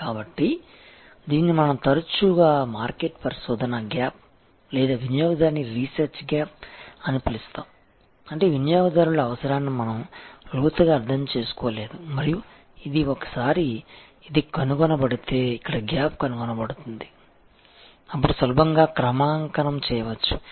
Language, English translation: Telugu, So, this is often we call the market research gap or customer research gap; that means, we have not understood the customers requirement well in depth and this can of course, once if this is found, this is gap is found, then is can be easily calibrated